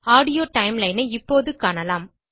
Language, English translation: Tamil, You will be able to view the Audio Timeline now